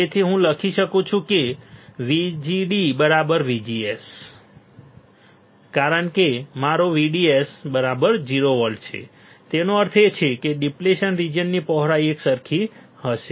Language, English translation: Gujarati, So, I can write VGD should be equals to VGS because my VDS is 0 volt right; that means, width of depletion region will be uniform correct